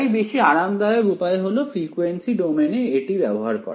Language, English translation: Bengali, So, the more convenient way to handle it is frequency domain right